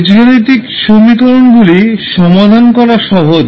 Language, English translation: Bengali, The algebraic equations are more easier to solve